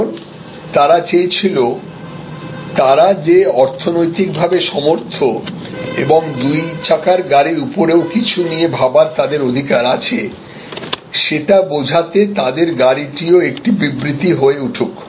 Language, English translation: Bengali, Because, they wanted that car to be also a statement that they have a right that they are now economically well off to go beyond the two wheelers